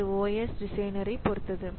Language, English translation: Tamil, So, it is it depends on the OS designer